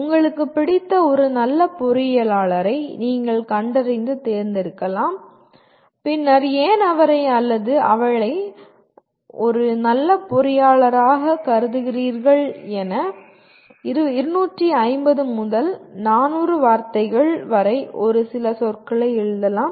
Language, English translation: Tamil, You can identify and select your favorite good engineer and then write a few words anywhere from 250 to 400 words why do you consider him or her a good engineer